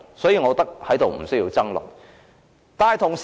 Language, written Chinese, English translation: Cantonese, 所以，我認為無須在此爭論。, Therefore I think it is meaningless to argue about it further here